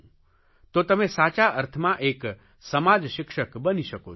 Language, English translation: Gujarati, So you can become a social teacher in the truest sense